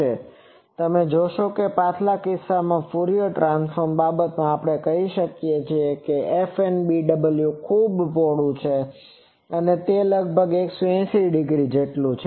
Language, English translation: Gujarati, So, you see almost in previous case for Fourier transform thing we say that this first null beam width that is very broad, it is almost like 180 degree